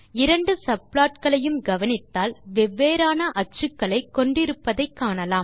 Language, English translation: Tamil, It is clear from the two subplots that both have different regular axes